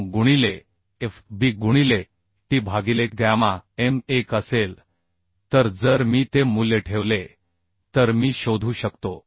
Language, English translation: Marathi, 9fu into d0 into t by gamma m1 right gamma m1 So I can calculate this value that will be 0